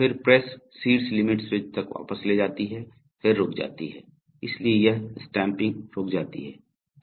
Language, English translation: Hindi, Then the press then retracts up to the top limit switch and stops, so it makes the stamping and stops, all right